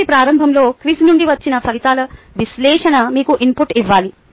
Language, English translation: Telugu, analysis of the results from the quiz at the beginning of the class should give you a input